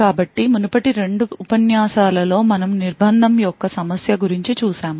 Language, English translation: Telugu, So, in the previous couple of lectures we had looked at a problem of confinement